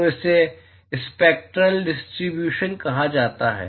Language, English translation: Hindi, So, this is called the spectral distribution